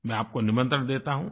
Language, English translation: Hindi, I invite you